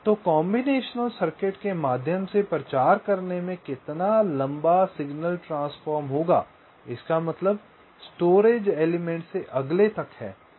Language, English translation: Hindi, so how long signal transitions will take to propagate across the combinational circuit means from one storage element to the next